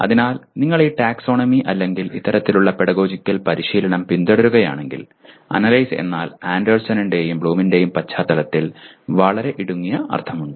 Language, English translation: Malayalam, So if you are following this taxonomy or as well as this kind of pedagogical training, then Analyze means/ has a very much narrower meaning in the context of Anderson and Bloom